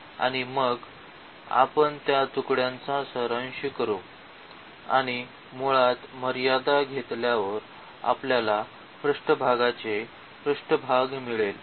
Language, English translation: Marathi, And, then we will sum those pieces and after taking the limit basically we will get the surface area of the of the surface